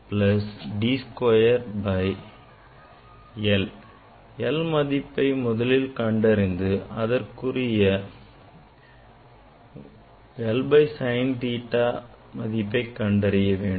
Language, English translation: Tamil, we will take reading of this l small l then we will be able to calculate sine theta